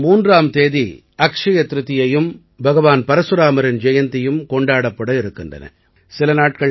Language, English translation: Tamil, Akshaya Tritiya and the birth anniversary of Bhagwan Parashuram will also be celebrated on 3rd May